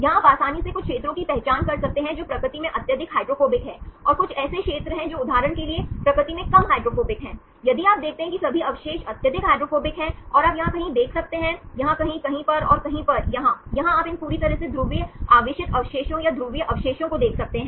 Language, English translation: Hindi, Here you can easily identify some regions which are highly hydrophobic in nature and some regions which are less hydrophobic in nature for example, if you see here all the residues are highly hydrophobic and you can see somewhere here, someplace here, someplace here, and someplace here, here you can see these completely polar charged residues or polar residues